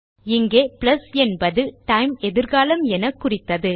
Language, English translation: Tamil, Here we said plus which meant that the time is in the future